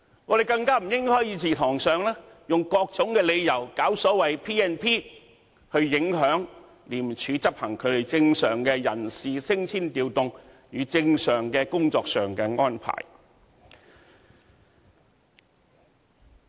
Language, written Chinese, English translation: Cantonese, 我們更不應該在議事堂上，以各種理由引用《立法會條例》來影響廉署執行正常的人事升遷調動，以及正常的工作安排。, We should not invoke the Legislative Council Ordinance in this Council on various pretexts to intervene with the normal personnel promotion and transfer as well as normal work arrangement of ICAC